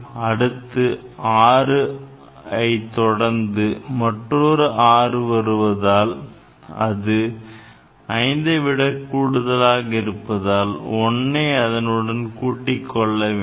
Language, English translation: Tamil, Now, this 6 is followed the next 6; so, if it is more than 5, 1 will be added, ok